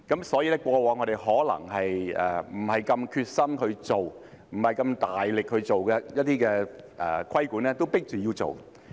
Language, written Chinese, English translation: Cantonese, 所以，我們過往可能不太有決心去處理，不是那麼大力去做的一些規管工作，也被迫要做。, Therefore we are forced to undertake some regulatory work that we may not be so determined to deal with and that we have not pursued so vigorously in the past